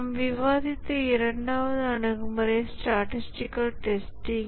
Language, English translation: Tamil, The second approach we discussed was statistical testing